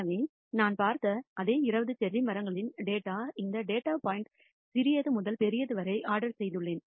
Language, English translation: Tamil, So, same 20 cherry trees data I have looked at, this data point I have ordered from the smallest to the largest